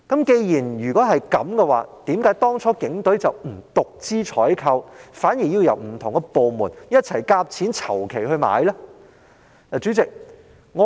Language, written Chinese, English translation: Cantonese, 既然如此，警隊何以當初不獨資進行採購，反而要不同部門一起籌款購買水馬呢？, That being the case why did the Police Force not purchase these water barriers on a wholly - owned basis at the outset but has chosen to join hands with different government departments in funding their procurement?